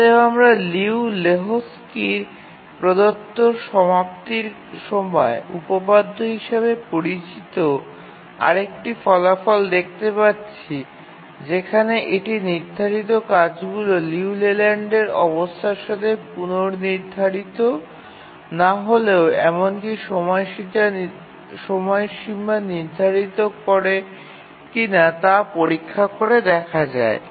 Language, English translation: Bengali, So we'll look at another result called as the completion time theorem given by Liu and Lahotsky where we can check if the task set will actually meet its deadline even if it is not schedulable in the Liu Leyland condition